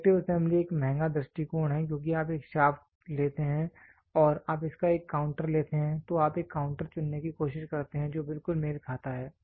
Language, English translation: Hindi, Selective assembly is a costly approach why because you take a shaft and you take a counter of it then you try to choose a counter which exactly matches